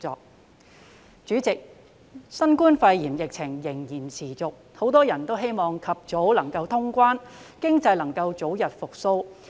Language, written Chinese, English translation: Cantonese, 代理主席，新冠肺炎疫情仍然持續，很多人都希望能及早通關，讓經濟早日復蘇。, Deputy President the COVID - 19 epidemic situation still persists . Many people hope that cross - boundary travel can be resumed as soon as possible for the early recovery of the economy